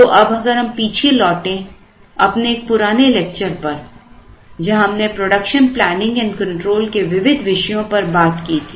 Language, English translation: Hindi, So, if we go back to one of the earlier lectures where we looked at the various topics in production planning and control